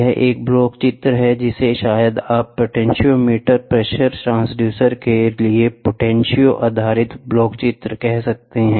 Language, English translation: Hindi, This is a block diagram for maybe you can say potentio based block diagram for potentiometer, pressure transducer